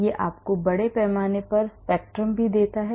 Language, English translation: Hindi, It also gives you the mass spectrum